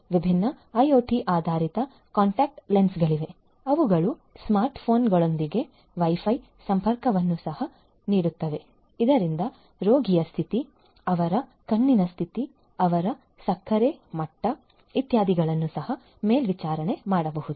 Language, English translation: Kannada, There are different IoT based contact lenses which are which also offer Wi Fi connectivity with smart phones so that the condition of the patient their you know, their high condition, their sugar level etcetera etcetera could be also monitored